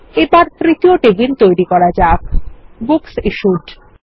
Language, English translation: Bengali, And let us create the third table: Books Issued